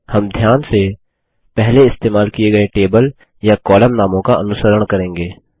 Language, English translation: Hindi, We will faithfully follow the table or column names we used earlier